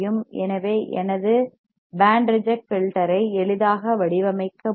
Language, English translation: Tamil, So, I can easily design my band reject filter alright